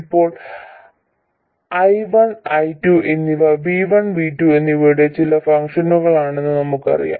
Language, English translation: Malayalam, Now we know that I1 and I2 are some functions of V1 and V2